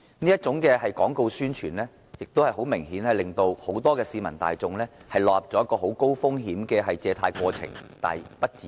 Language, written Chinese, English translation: Cantonese, 這種廣告宣傳明顯令很多市民大眾落入了高風險的借貸過程而不自知。, This kind of advertisements has obviously caused many members of the general public to fall into a high - risk loan process inadvertently